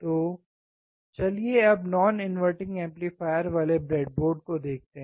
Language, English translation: Hindi, So, let us now see the breadboard of the non inverting amplifier